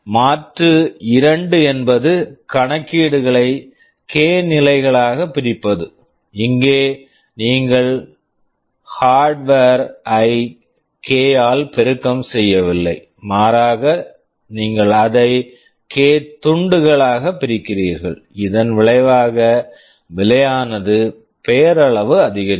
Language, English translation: Tamil, Alternative 2 is to split the computation into k stages; here you are not multiplying the hardware by k, rather the you are splitting it into k pieces resulting in very nominal increase in cost